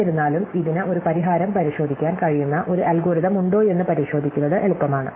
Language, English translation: Malayalam, However, it is easy to check that it has an algorithm which can check a solution